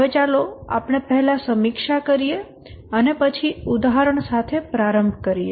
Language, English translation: Gujarati, Now let's look at, let's review first quickly and then get started with the example